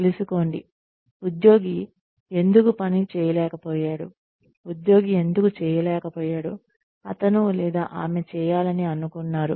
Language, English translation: Telugu, Find out, why the employee has not been able to perform, why the employee has not been able to do, what he or she was expected to do